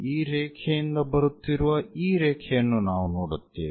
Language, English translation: Kannada, So, this line what we see coming from this line